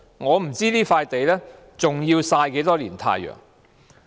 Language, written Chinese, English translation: Cantonese, 我不知道這塊土地還要曬多少年太陽。, I wonder for how many more years this site will have to be left there sunbathing